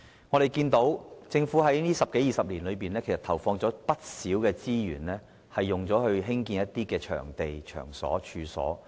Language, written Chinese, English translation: Cantonese, 我們看到，政府在過去十多二十年投放了不少資源興建一些場地和場所。, We can see that the Government has put in a lot of resources to build new venues and premises over the past two decades